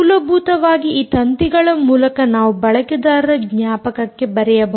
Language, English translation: Kannada, essentially through this wires, we could essentially writing into the user memory